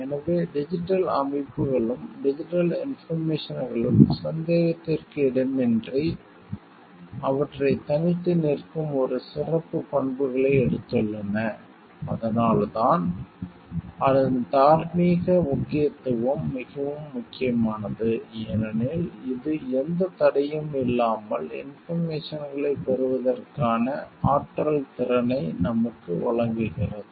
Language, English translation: Tamil, So, digital systems and digital information undoubtedly has taken a special characteristics that sets them apart and, that is why the moral significance of it has becomes more important, because it gives us so much of power capability of getting information without maybe any barriers